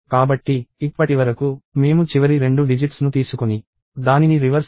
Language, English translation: Telugu, So, so far, we have taken the last two digits and reversed it